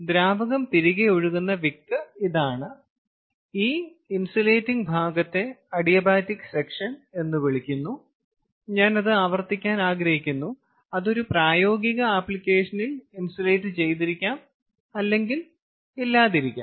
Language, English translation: Malayalam, this insulating portion, as we called it, is the adiabatic section which, as i again i want to repeat, may or may not be insulated in a practical application